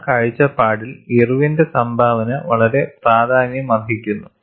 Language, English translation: Malayalam, From that point of view, the contribution of Irwin is very significant